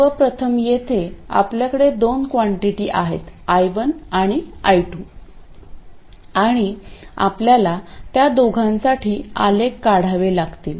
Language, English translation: Marathi, Now first of all we have two quantities here I and I2, and we have to draw graphs for both of them